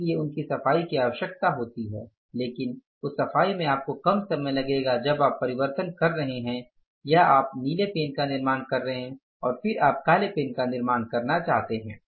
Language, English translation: Hindi, So that cleaning is required but that cleaning will take less time when you are converting or you are manufacturing the blue pen and then you want to manufacture the black pen